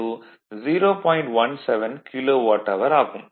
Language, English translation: Tamil, 17 Kilowatt hour right